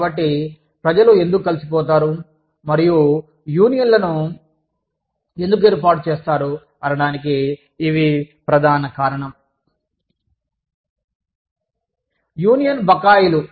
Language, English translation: Telugu, So, this is the main reason, why people get together, and form unions